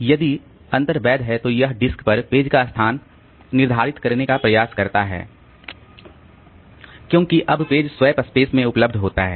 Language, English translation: Hindi, If the reference is legal, then it tries to determine the location of the page on the disk because now the page will be available in the swap space